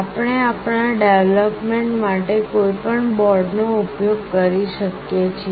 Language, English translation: Gujarati, We can use any one of the boards for our development